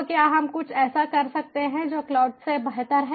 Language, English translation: Hindi, so can we do something which is better than cloud